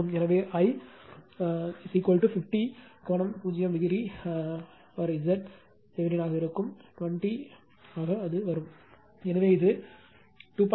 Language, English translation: Tamil, Therefore, I will be is equal to 50 angle 0 degree by Z T that is 20 only, so it will be 2